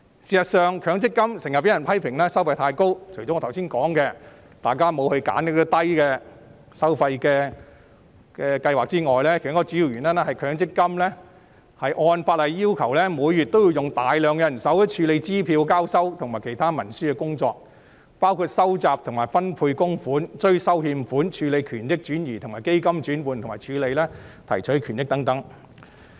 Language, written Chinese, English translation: Cantonese, 事實上，強積金經常被批評收費太高，除了我剛才提到大家沒有選擇行政費用低的計劃外，另一個主要原因是強積金按法例要求，每月花大量人手處理支票交收及其他文書工作，包括收集和分配供款、追收欠款、處理權益轉移、基金轉換及提取權益等。, In fact MPF is often criticized for its excessively high fees . One of the reasons as I just said is that MPF scheme members did not opt for schemes charging low administration fees . Another major reason is that MPF trustees are required under the law to deploy substantial manpower for handling cheques and other administration duties including the collection and allocation of contributions recovery of outstanding contributions transfer of MPF benefits fund switching and benefits withdrawal